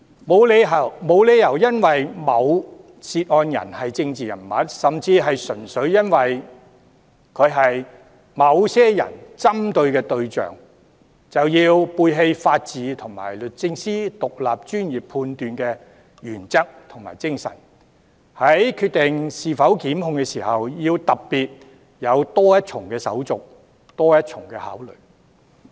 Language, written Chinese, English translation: Cantonese, 沒有理由因為某涉案人是政治人物，甚至純粹由於他是某些人士所針對的對象，便要背棄法治和律政司作獨立專業判斷的原則和精神，在決定是否檢控時，要特別有多一重手續、多一重考慮。, It also is unfair and unjust to the person involved as it is unreasonable to put in place an extra step and give the case further deliberation at the expense of the principle and spirit underlying the rule of law and DoJs independent professional judgment simply because the person concerned is a political figure or just because he is somebodys target of criticism